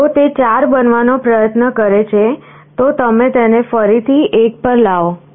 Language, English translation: Gujarati, So, if it tries to become 4, you again bring it back to 1